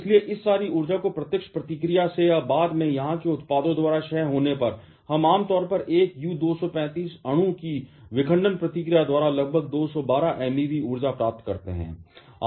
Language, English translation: Hindi, So, combining all this energy release from the direct reaction or later decay by the products here, we generally get approximately 212 MeV of energy by fission reaction of one U 235 molecule